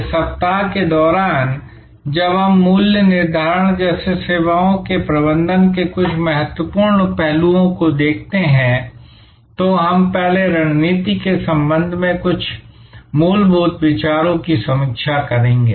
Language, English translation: Hindi, During this week, while we look at some important aspects of services management like pricing, we will first review some fundamental considerations with respect to strategy